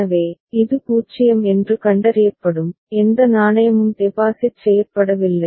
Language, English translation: Tamil, So, it will find that this is 0, no coin has been deposited